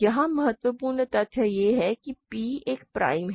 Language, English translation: Hindi, Here the important fact is that p is a prime